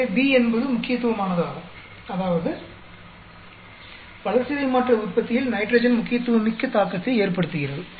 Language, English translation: Tamil, So, B is significant that means, nitrogen seems to have a significant effect in the metabolic production actually